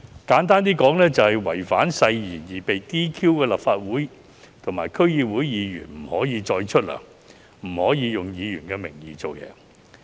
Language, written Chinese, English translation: Cantonese, 簡單來說，因違反誓言而被 "DQ" 的立法會和區議會議員，不得獲發酬金，不得以議員身份行事。, To put it simply a Legislative Council Member or DC member who has been DQ disqualified on the grounds of breach of oath shall cease to receive remuneration and shall cease to act as a member